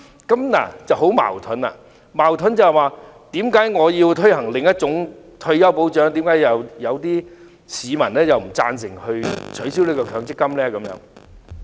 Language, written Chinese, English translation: Cantonese, 這情況很矛盾，矛盾在於當有人建議推行另一種退休保障制度時，有市民卻不贊同取消強積金。, Here lies a contradiction . On the one hand another form of retirement protection system is proposed and on the other some members of the public do not agree to the abolishment of MPF